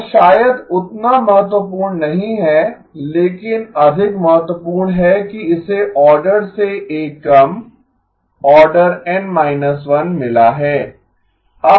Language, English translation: Hindi, That maybe is not as important but more important it has got order 1 less, order N minus 1